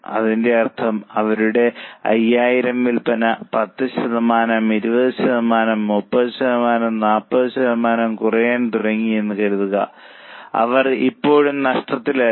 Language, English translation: Malayalam, What it means is suppose their sale of 5,000 starts calling, let us say by 10%, 20%, 30%, 40%, they are still not in losses